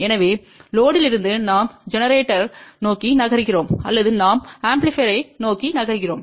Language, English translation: Tamil, So, from the load we are moving towards generator or we are moving towards amplifier